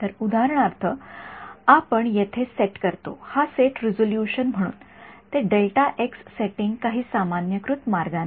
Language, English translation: Marathi, So, here we set for example, this set resolution so, that setting delta x in some normalized way